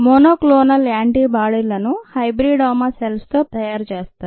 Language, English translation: Telugu, monoclonal antibodies are made by cells called hybridomas